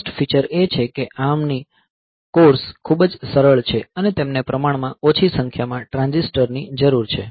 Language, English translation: Gujarati, So, first feature is the ARM cores are very simple, and they require relatively lesser number of transistors